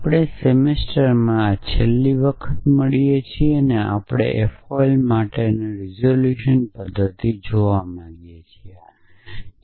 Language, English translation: Gujarati, So, we meet for the last time semester and we want to look at the resolution method for F O L essentially